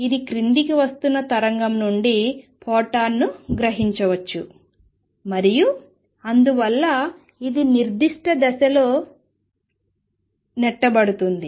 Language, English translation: Telugu, It may absorb a photon from wave coming down and therefore, it gets a kick in certain direction